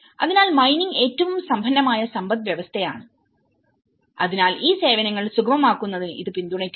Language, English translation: Malayalam, So, one is the mining being one of the richest economy, so it also supports to facilitate these services